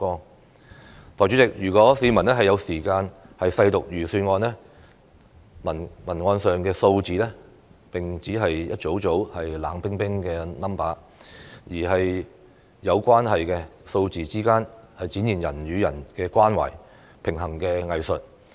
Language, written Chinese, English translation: Cantonese, 代理主席，如果市民有時間細讀預算案，所臚列的數字並不是一組組冷冰冰的數字，而是有關係的，數字之間展現人與人的關懷和平衡的藝術。, Deputy President if members of the public have time to peruse the Budget they will know that the figures enumerated are not sets of chilling figures . Rather they are related figures that demonstrate humanistic care and the art of balancing